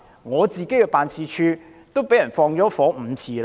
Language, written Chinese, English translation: Cantonese, 我的辦事處曾被縱火5次。, My office had been set on fire for five times